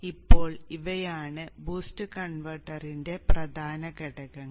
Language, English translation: Malayalam, So this is how the boost converter operates